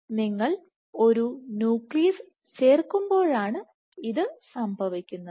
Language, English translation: Malayalam, So, this is when you add a nucleus